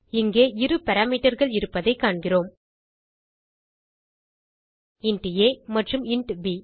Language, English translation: Tamil, You can see here we have two parameters int a and int b